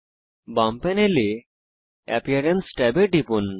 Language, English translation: Bengali, On the left panel, click on the Appearance tab